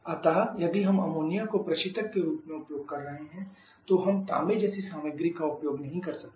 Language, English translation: Hindi, So we cannot if we are using ammonia as a refrigerant we cannot use copper like material